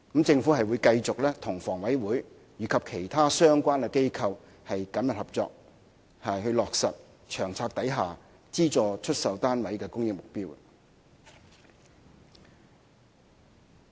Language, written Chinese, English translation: Cantonese, 政府會繼續與房委會及其他相關機構緊密合作，落實《策略》下資助出售單位的供應目標。, The Government will continue to work closely with HKHA and other related organizations to meet the supply target of subsidized sale flats under the LTHS